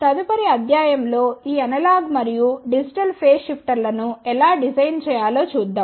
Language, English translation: Telugu, In the next lecture we will see how to realize these analog and digital phase shifters